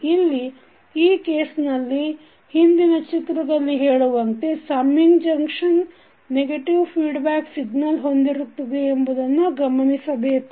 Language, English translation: Kannada, Now, here in this case we say that in the previous figure we can observe that the summing junction will have negative feedback signal